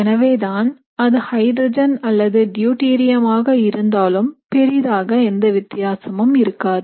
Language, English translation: Tamil, So that is why whether you have hydrogen or deuterium, so there is not a big difference